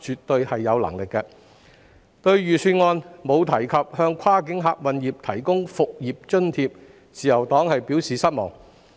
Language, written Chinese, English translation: Cantonese, 對於預算案沒有提及向跨境客運業提供復業津貼，自由黨表示失望。, The Liberal Party is disappointed that the Budget makes no mention of providing a business resumption allowance for the cross - boundary passenger service sector